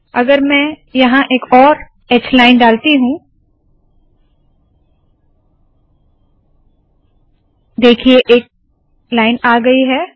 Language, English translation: Hindi, If I put another h line here, see a line has come